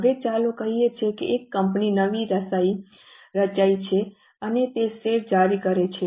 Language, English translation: Gujarati, Now, let us say a company is newly formed and it issues shares